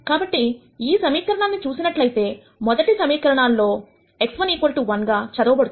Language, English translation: Telugu, So, when you look at this equation; if you take the first equation it reads as x 1 equal to 1